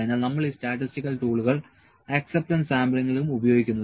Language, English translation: Malayalam, So, because we use these statistical tools in acceptance sampling as well